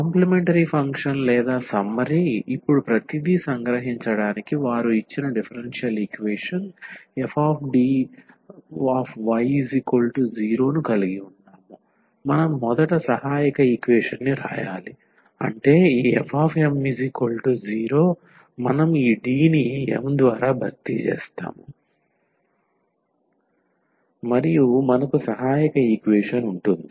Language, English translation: Telugu, So, the complementary function or the summery now to summarize everything, so, we have the equation they given differential equation f D y is equal to 0, we need to write first the auxiliary equation; that means, this f m is equal to 0 we will just replace this D by m and we will have the auxiliary equation